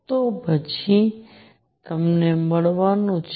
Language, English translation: Gujarati, Then you are going to get